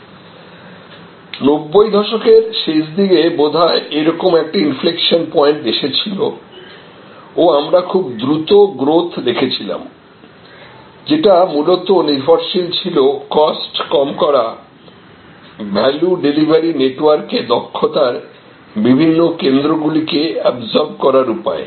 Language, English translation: Bengali, There was an inflection point, which perhaps occur towards the end of 90’s and we had seen rapid growth, which was mainly based on the drive to reduce cost, absorb different centres of efficiency into a value delivery network